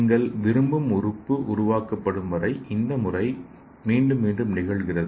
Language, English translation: Tamil, So this method is repeated until the organ that you want is created